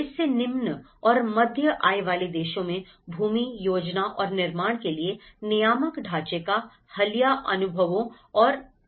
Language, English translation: Hindi, Recent experience of regulatory frameworks for land, planning and building in low and middle income countries